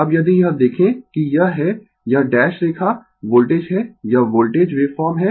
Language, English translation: Hindi, Now, if you look into this, that this is my this dash line is the voltage, this is the voltage waveform